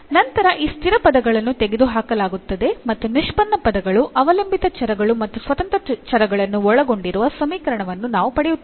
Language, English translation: Kannada, Then these this constant terms will be removed and we will get an equation which contains the derivative terms dependent variables and independent variables